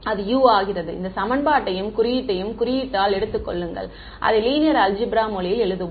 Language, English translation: Tamil, It becomes u just take this equation and symbol by symbol let us write it on the language of linear algebra